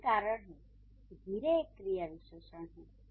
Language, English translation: Hindi, So that is why slowly would be an adverb